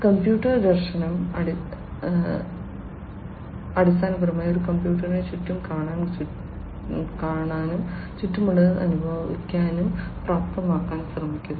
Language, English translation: Malayalam, Computer vision is basically trying to enable a computer to see around, to see around, to feel what is around it and so on